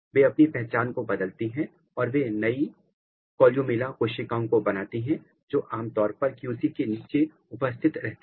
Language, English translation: Hindi, They change their identity and then they make new columella cells which is typically present below the QC